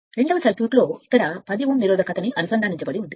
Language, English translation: Telugu, Second circuit is the, that a 10 over resistance is connected here